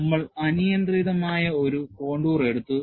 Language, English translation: Malayalam, We took a arbitrary contour